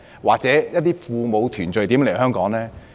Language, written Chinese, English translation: Cantonese, 或與父母團聚的人又如何來港呢？, And how do people who wish to reunite with their parents in Hong Kong come here?